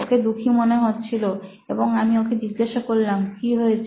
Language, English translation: Bengali, He looked sad and I said, so what’s up